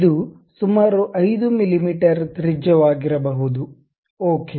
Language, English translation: Kannada, It can be some 5 millimeters radius, ok